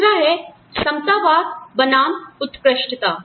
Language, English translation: Hindi, The other one is, egalitarianism versus elitism